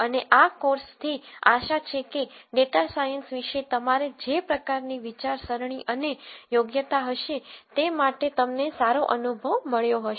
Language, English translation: Gujarati, And this course would have hopefully given you a good feel for the kind of thinking and aptitude that you might need to follow up on data science